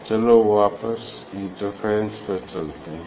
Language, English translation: Hindi, let us go back to the interference, let us go back to the interference